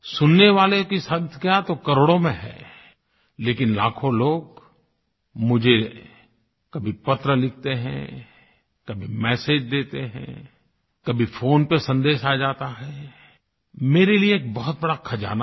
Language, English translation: Hindi, The number of listeners are in crores out of which lakhs of people write letters to me, send messages, and get their messages recorded on phone, which is a huge treasure for me